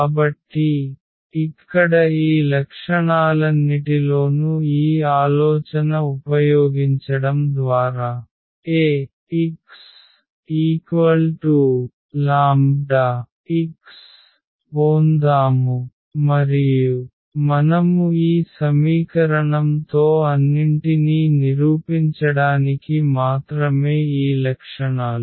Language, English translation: Telugu, So, here in all these properties the simple idea was to use this Ax is equal to lambda x and we played with this equation only to prove all these properties